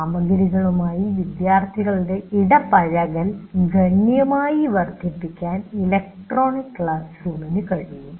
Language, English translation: Malayalam, Electronic classroom can significantly enhance the engagement of the students with the material